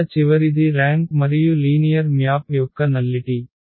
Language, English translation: Telugu, Last one here the rank and the nullity of a linear map